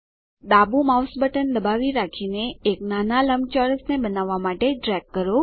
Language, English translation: Gujarati, Hold the left mouse button and drag to draw a small rectangle